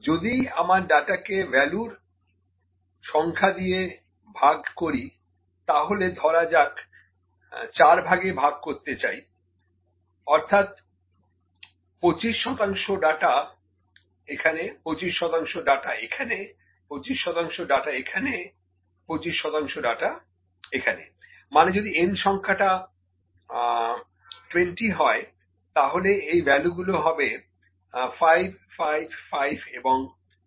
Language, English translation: Bengali, If I divide my data in the number of values, that we have into let me say 4 parts and I say, 25 percent of data is here, 25 percent here, 25 percent here, 25 percent here, that is if n is equal to 20, these values are 5, 5, 5 and 5, ok